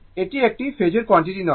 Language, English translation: Bengali, It is not a phasor quantity